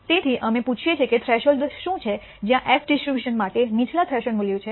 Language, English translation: Gujarati, So, we ask what is the threshold where lower threshold value for the f dis tribution and it turns out to be 0